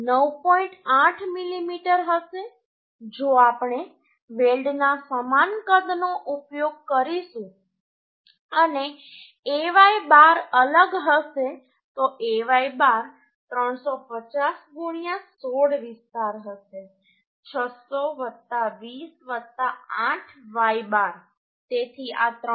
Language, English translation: Gujarati, 8 mm if we use same size of the weld and Ay bar will be different Ay bar will be 350 into 16 this the area into 600 plus 20 plus 8 y bar so this will be 351